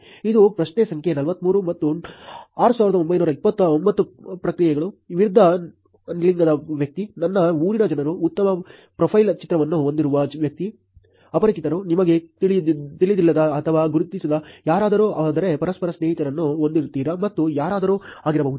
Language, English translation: Kannada, This is question number 43 and 6929 responses, person of opposite gender, people from my hometown, person with nice profile picture, strangers, somebody even you do not know or recognise, but have mutual friends, and anyone